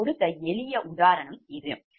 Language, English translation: Tamil, this is a simple example i gave